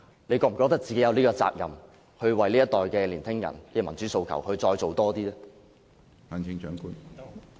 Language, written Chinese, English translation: Cantonese, 她是否覺得自己有責任，為這一代年輕人的民主訴求，再做多一點呢？, Does she think that she has the responsibility to do more for the democratic aspiration of the young generation?